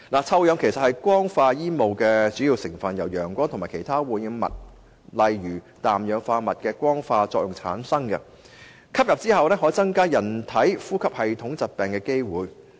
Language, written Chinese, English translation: Cantonese, 臭氧其實是光化煙霧的主要成分，由陽光和其他污染物的光化作用產生，吸入後可增加人類患上呼吸系統疾病的機會。, As a primary component of photochemical smog ozone is a result of photochemical interaction between sunlight and other pollutants . When inhaled it may increase humans chance of contracting respiratory illnesses